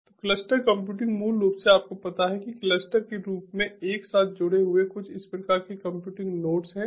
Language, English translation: Hindi, so cluster computing is basically, you know, having some kind of computing nodes connected together in the from form of a cluster